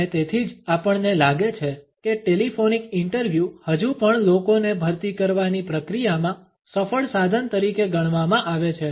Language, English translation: Gujarati, And that is why we find the telephonic interviews are still considered to be a successful tool in the process of hiring people